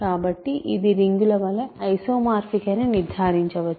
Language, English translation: Telugu, So, the conclusion is these are isomorphic as a rings